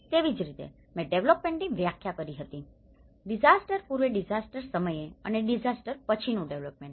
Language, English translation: Gujarati, Similarly, as I defined to as a development, the pre disaster development, during disaster and the post disaster